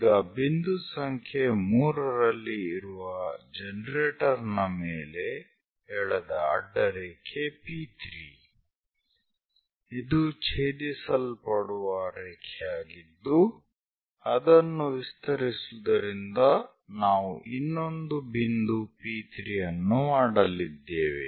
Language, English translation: Kannada, The horizontal line P3 on generate at 3; so this is the line where it is going to intersect extend it so that we are going to make another point P3